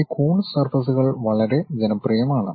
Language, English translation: Malayalam, These Coons surfaces are quite popular